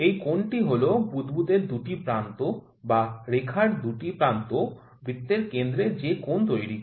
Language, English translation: Bengali, This angle is the angle that the 2 ends of the bubble 2 ends of the line make with the centre of the circle